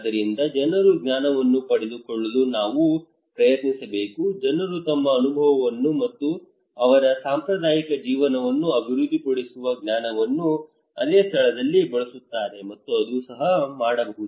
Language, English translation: Kannada, So we should try to grab that knowledge people experience, people use their experience and their traditional living with the same place that develop a knowledge and that that can even